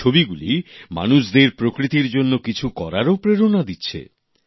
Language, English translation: Bengali, These images have also inspired people to do something for nature